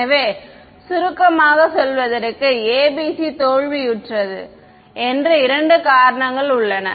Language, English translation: Tamil, So, to summarize there are two reasons that we say that the ABC fail